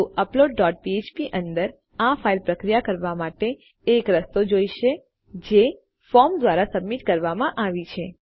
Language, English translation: Gujarati, So inside upload dot php we need a way of processing this file which has been submitted from our form